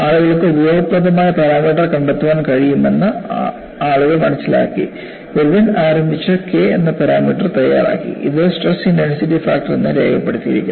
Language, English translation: Malayalam, And fracture mechanics was made useful to society, and people realized that people could find out the useful parameter that was initiated by Irwin, who coined a parameter called K, which is labeled as stress intensity factor